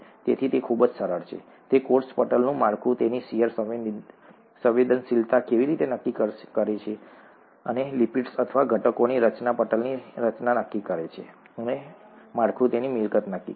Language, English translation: Gujarati, So that is very simply how the structure of the cell membrane determines its shear sensitivity, and the structure of the lipids or or the constituents the nature of the constituents determine the structure of the membrane and the structure determines its property